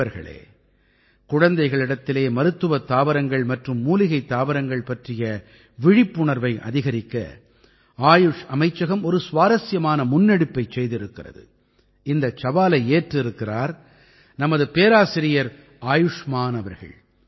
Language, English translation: Tamil, the Ministry of Ayush has taken an interesting initiative to increase awareness about Medicinal and Herbal Plants among children and Professor Ayushman ji has taken the lead